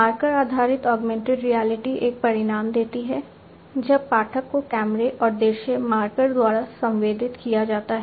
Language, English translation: Hindi, Marker based augmented reality gives an outcome when the reader is sensed by the camera and the visual marker